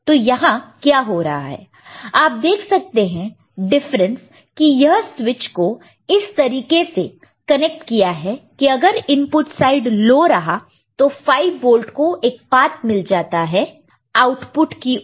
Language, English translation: Hindi, So, what is happening now you see the difference this switch is connected in such a manner that if this input side is low this 5 volt is getting a path to the output ok